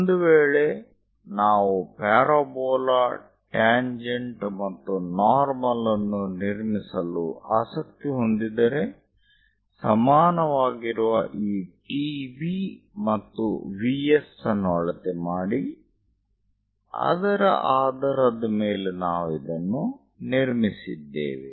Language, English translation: Kannada, Then at any given point if we are interested in constructing parabola, tangent and normal, we went ahead measure this T V is equal to V S point and based on that we have constructed it